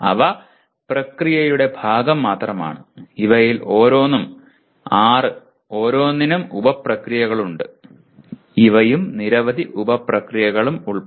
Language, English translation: Malayalam, They only the process part is these six in each and each one has sub processes; including even these and several sub processes